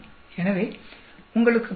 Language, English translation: Tamil, So, you understand